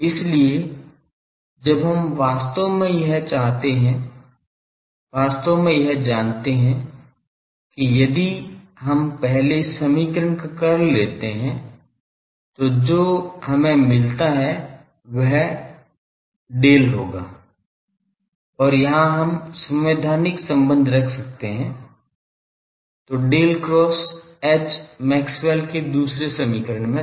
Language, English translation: Hindi, So, that we do by actually you know that if we take the curl of the first equation then we get so that will be Del and here we can put the constitutive relation, then Del cross H was there in the second Maxwell’s equation